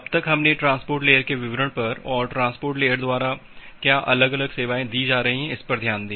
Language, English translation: Hindi, So, till now we looked into the details of the transport layer, and what different services is being provided by the transport layer